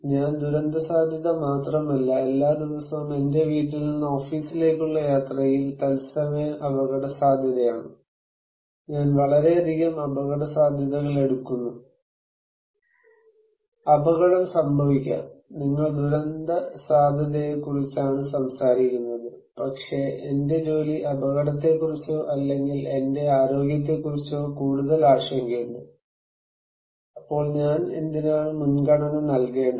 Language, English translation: Malayalam, I am not only facing disaster risk, every day is a live risk from my home to office, I take so many risks, accident can happen, you are talking about disaster risk but, I might concern is more about my job risk or my health risk, so which one I should prioritize